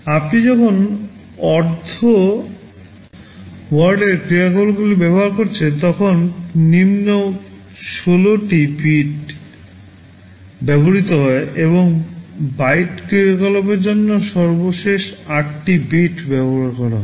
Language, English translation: Bengali, When you are using half word operations, the lower 16 bits is used, and for byte operations the last 8 bits are used